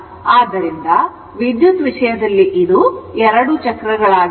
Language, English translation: Kannada, So, electrically, it will be 2 cycles right